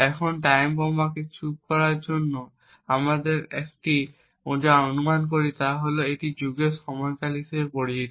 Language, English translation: Bengali, Now in order to silence ticking time bomb what we first assume is something known as an epoch duration